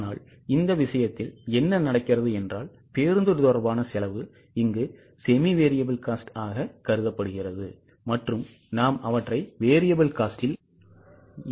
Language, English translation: Tamil, But in this case what is happening is the bus related costs are semi variable in nature and we are not including them in the variable cost